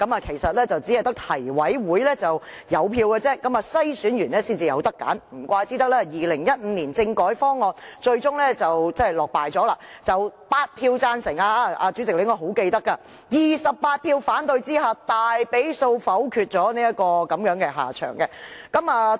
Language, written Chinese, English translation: Cantonese, 其實只是提名委員會有票而已，經篩選後，市民才能選擇，難怪2015年政改方案最終落敗，主席應該非常記得，方案是8票贊成 ，28 票反對下，被大比數否決，落得如此下場。, The general public can only choose among NC - screened candidates . No wonder the 2015 constitutional reform package was vetoed . President should definitely remember that the reform package came to such a disgraceful end being negatived by a majority vote with 8 in favour of and 28 against it